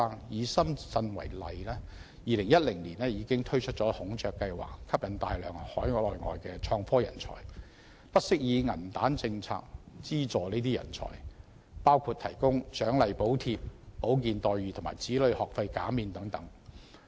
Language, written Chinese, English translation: Cantonese, 以深圳為例 ，2010 年已推出"孔雀計劃"，吸引大量海內外的創科人才，不惜以"銀彈政策"資助這些人才，包括提供獎勵補貼、保健待遇和子女學費減免等。, Take Shenzhen as an example . It launched the Peacock Plan in 2010 to attract a large number of domestic and overseas innovation and technology talents sparing no effort in subsidizing such talents with money power including offering incentives and subsidies health coverage and tuition fee remission for children